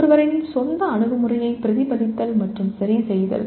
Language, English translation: Tamil, Reflecting and adjusting one’s own approach